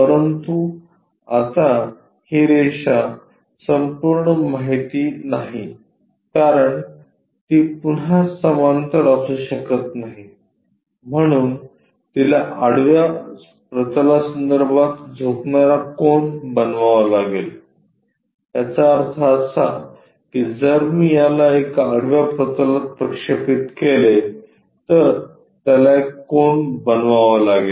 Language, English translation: Marathi, But now, this line is not the complete information because it cannot be parallel again it has to make an inclination angle with respect to horizontal plane; that means, if I am going to project this one onto horizontal plane, it has to make an angle